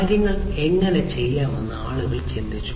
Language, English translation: Malayalam, So, people thought about how things could be done